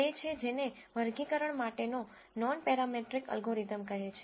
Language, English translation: Gujarati, It is, what is called a nonparametric algorithm for classification